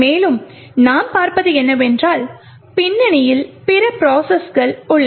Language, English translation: Tamil, And also, what you see is that there are other processes present in the background